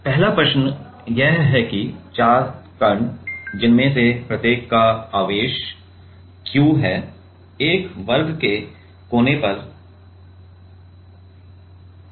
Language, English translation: Hindi, So, the first question is that four particles, each with charge small q, are placed at a corners of a square